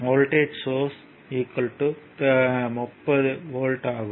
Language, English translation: Tamil, So, v will be is equal to 30 volt